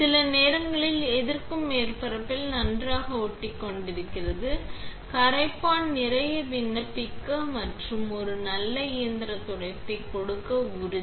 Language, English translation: Tamil, Sometimes the resist is sticking very well on the surface, just make sure to apply plenty of solvent and give it a good mechanical scrub